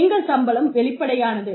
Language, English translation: Tamil, Our salaries are publicly available